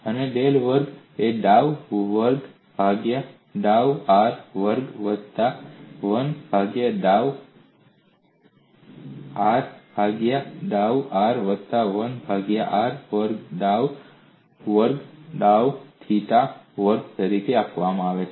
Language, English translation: Gujarati, And del square is given as dou square, by dou r square plus 1 by r dou by dou r plus 1 by r square dou square by dou theta square